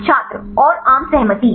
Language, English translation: Hindi, And the consensus